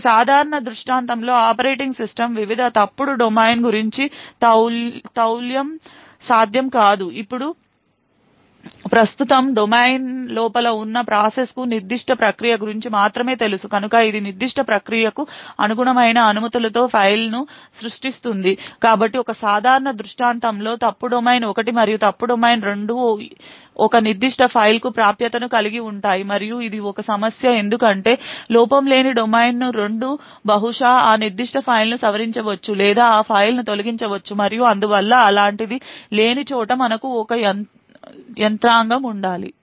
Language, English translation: Telugu, Now in a typical scenario this is not possible because the operating system does not know about the various fault domains present within the process it only knows of that particular process, so it would create the file with permissions corresponding to that particular process so in a typical scenario therefore both the fault domain 1 as well as fault domain 2 would have access to that a particular file and this is a problem because fault domain 2 which is maybe untrusted would possibly modify that particular file or delete that file and so on and therefore we need to have a mechanism where such a thing is not present